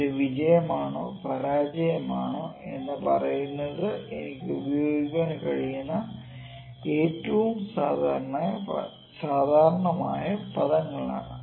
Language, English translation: Malayalam, If we just telling that whether it is success or failure these are the most common terms I can use